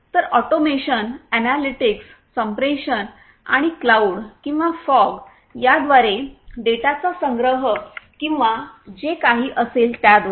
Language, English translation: Marathi, So, automation, analytics, you know communication and also the storage of the data through cloud or fog or whatever